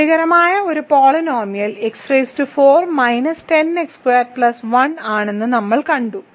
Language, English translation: Malayalam, We have seen that one polynomial that is satisfies is x power 4 minus ten x squared plus 1